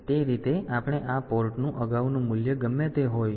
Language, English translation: Gujarati, So, that way we whatever be the previous value of this port